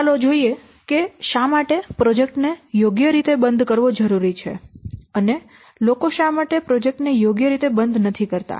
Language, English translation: Gujarati, Then let's see why it is required to properly close the program or projects and why people are not properly closing the projects